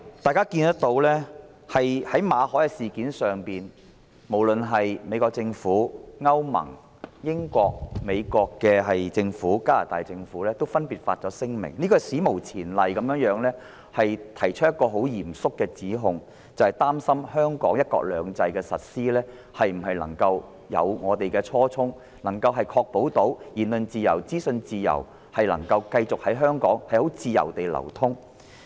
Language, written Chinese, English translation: Cantonese, 大家也看到，在馬凱事件上，美國政府、歐洲聯盟、英國政府及加拿大政府分別發表聲明，史無前例地提出嚴肅指控，擔心香港對"一國兩制"的實施能否貫徹初衷，確保言論自由及資訊能夠繼續在香港自由流通。, As we can see on the incident of Victor MALLET the United States Government the European Union the United Kingdom Government and the Canadian Government have respectively issued a statement making serious allegations in an unprecedented manner expressing concerns about whether Hong Kong can adhere to the original intent in the implementation of one country two systems to ensure freedom of speech and continuous free flow of information in Hong Kong